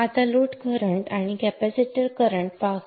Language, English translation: Marathi, Now let us look at the load current and the capacitor currents